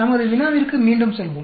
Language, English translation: Tamil, Let us go back to our problem